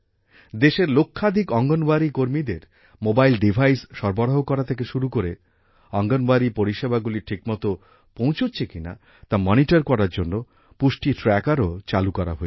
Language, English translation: Bengali, From providing mobile devices to millions of Anganwadi workers in the country, a Poshan Tracker has also been launched to monitor the accessibility of Anganwadi services